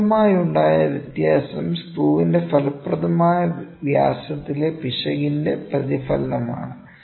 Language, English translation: Malayalam, The resulting difference is a reflection of the error in the effective diameter of the screw